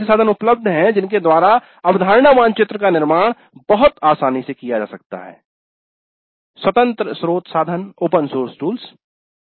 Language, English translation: Hindi, There are tools available by which the concept map can be constructed very easily open source tools